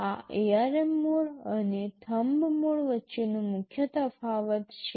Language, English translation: Gujarati, This is the main difference between the ARM mode and the Thumb mode